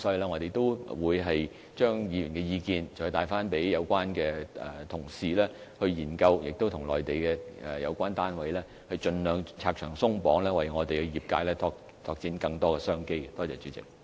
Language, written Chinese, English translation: Cantonese, 我們會將議員的意見轉達給有關的同事研究，並與內地的有關單位商議，盡量"拆牆鬆綁"，為香港業界拓展更多商機。, We will relay the Members views to the relevant colleagues for consideration and will negotiate with the relevant authorities in the Mainland to remove restrictions as far as possible and open up more opportunities for the business sector in Hong Kong